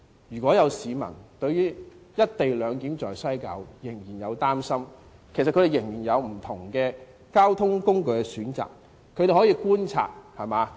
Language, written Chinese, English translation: Cantonese, 如果有市民對"一地兩檢"在西九龍站仍然有擔心，他們可以選擇其他交通工具，他們可以觀察。, If people are still concerned about implementing the co - location arrangement in West Kowloon they can take other transport modes and keep the XRL under observation